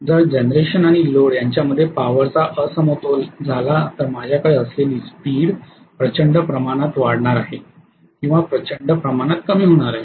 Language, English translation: Marathi, If there is a power imbalance between generation and load, I am going to have either the speed increasing enormously or speed decreasing enormously